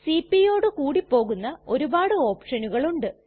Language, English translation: Malayalam, There are many options that go with cp